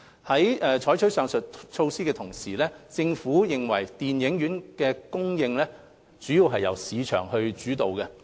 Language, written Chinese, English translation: Cantonese, 在採取上述措施的同時，政府認為電影院的供應主要是由市場主導。, While adopting the above measure the Government considers that the provision of cinemas should still largely be market - driven